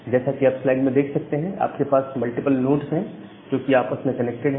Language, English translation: Hindi, So you have multiple nodes there which are interconnected with each other